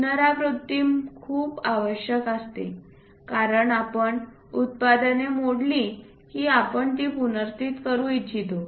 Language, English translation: Marathi, Repetition is very much required, because you broke it and you would like to replace it